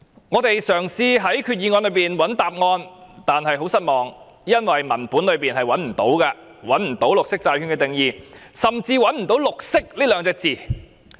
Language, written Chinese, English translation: Cantonese, 我們嘗試在決議案中尋找答案，但結果很令人失望，因為在文本內找不到綠色債券的定義，甚至找不到"綠色"這兩個字。, We tried to find the answer in the Resolution but the result was disappointing because we could not find any definition of green bond in the text . We could not even find the word green